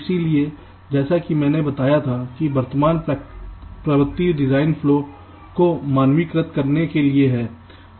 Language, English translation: Hindi, so the present trend, as i had mentioned, is to standardize the design flow